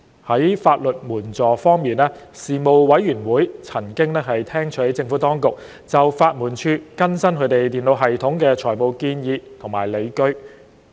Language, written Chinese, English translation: Cantonese, 在法律援助方面，事務委員會曾聽取政府當局就法律援助署更新其電腦系統提出的財務建議及理據。, As for legal aid the Panel was briefed on the financial proposal and the justifications relating to the Legal Aid Departments revamp of its computer system